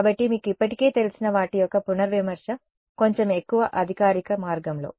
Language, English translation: Telugu, So, just the revision of what you already know in a little bit more formal way